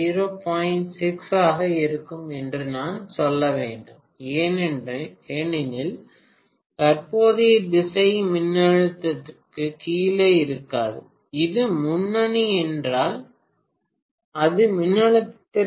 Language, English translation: Tamil, 6 because essentially the current direction would be not below voltage it will be above voltage, if it is leading